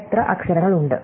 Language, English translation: Malayalam, How many letters are there